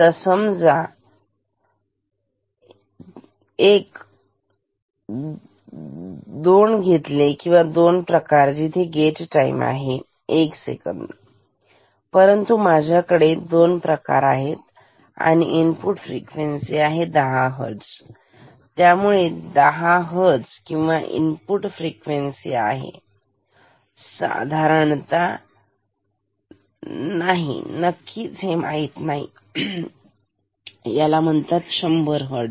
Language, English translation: Marathi, Say now let us take two; two cases where I have gate time equal to 1 second ok, but I have two cases; input frequency equal to say 10 Hertz; around 10 Hertz and input frequency equal to around not exactly it is not known exactly, it is known around 100 Hertz